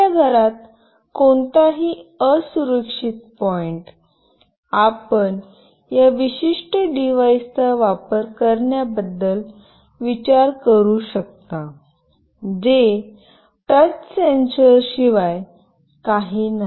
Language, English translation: Marathi, So, any vulnerable point in your house, you can consider that for using this particular device which is nothing but a touch sensor